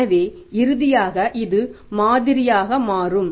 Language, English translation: Tamil, So, this is the finally the model will become